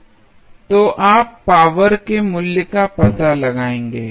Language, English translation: Hindi, So, you will find out the value of power p